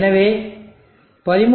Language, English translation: Tamil, 6, so 13